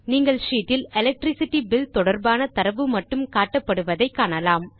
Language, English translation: Tamil, You see that only the data related to Electricity Bill is displayed in the sheet